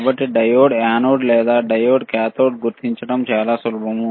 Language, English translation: Telugu, So, this is very easy to identify the diode is anode or diode is cathode